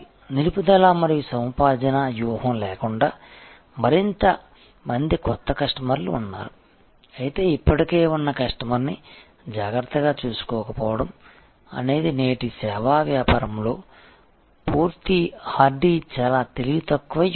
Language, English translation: Telugu, Without retention and acquisition strategy are more and more new customers while not taking excellent care of the existing customer is a very full hardy very unwise strategy in today's service business